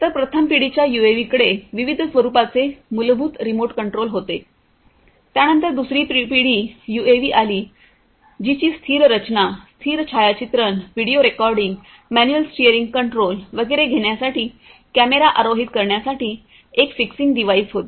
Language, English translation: Marathi, So, first generation UAVs had fundamental remote control of different forms, then came the second generation UAVs which had a static design, a fixing device for camera mounting for taking still photography, video recording, manual steering control and so on